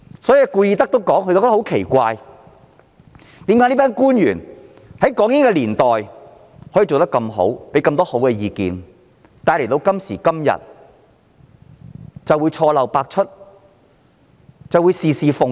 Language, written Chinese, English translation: Cantonese, 奇怪的是，在港英年代表現優秀的官員，過往亦能提出很好的意見，但今時今日卻錯漏百出，事事奉迎。, Oddly enough some previously outstanding officials who could put forward many excellent views during the British colonial era have been making mistakes repeatedly and pandering to the Central Authorities on all matters nowadays